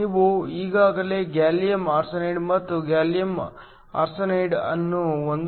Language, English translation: Kannada, We already saw that, if you had gallium arsenide and gallium arsenide with a band gap of 1